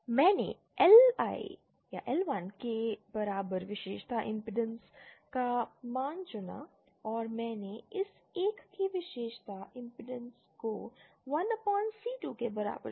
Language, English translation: Hindi, I chose the value of the characteristic impedance equal to L1 and I chose the characteristic impedance of this one is equal to 1/c2